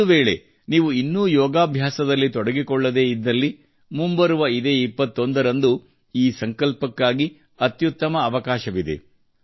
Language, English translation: Kannada, If you are still not connected with yoga, then the 21st of June is a great opportunity for this resolve